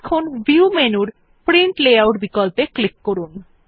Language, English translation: Bengali, Now lets us click on Print Layout option in View menu